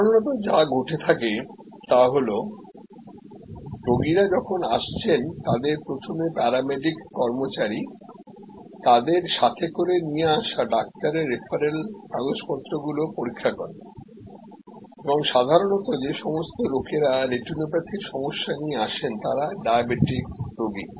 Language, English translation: Bengali, So, usually what happens is that the patient comes in there are paramedic personal who will review the referral from the doctor and usually the people who are coming for retinopathy problem they are diabetic patients